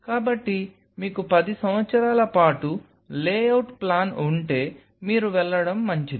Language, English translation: Telugu, So, if you have a lay out plan for 10 years you are good to go